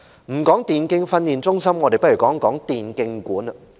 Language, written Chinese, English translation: Cantonese, 不談電競發展中心，我們來談談電競館。, Let us not talk about the e - sports development center but discuss the e - sports venues